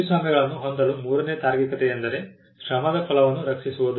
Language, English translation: Kannada, The third rationale for having copyrights is that the fruits of labour need to be protected